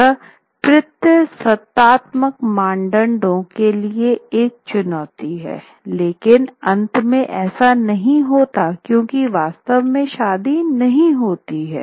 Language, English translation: Hindi, So at once, it is a challenge to patriarchal norms, but it also succumbs to patriarchal norms at the end because ultimately the marriage actually doesn't happen